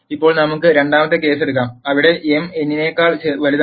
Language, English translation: Malayalam, Now let us take the second case, where m is greater than n